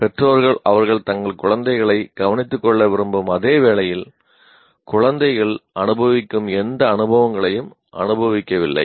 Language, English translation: Tamil, So what happens parent, while they would like to take care of their children, but they have not gone through any of the experiences that the children are going through